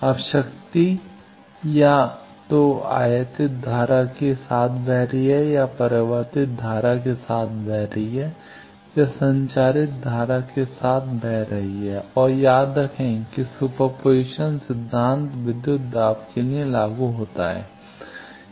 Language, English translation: Hindi, Now, power is either flowing with the incident wave, or flowing with the reflected wave, or flowing with the transmitted wave and remember, that super position principle applies for voltages